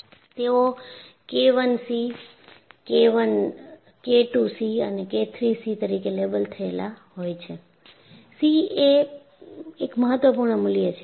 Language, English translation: Gujarati, And, they are labeled as K I c, K II c and K III c; the c denotes it is a critical value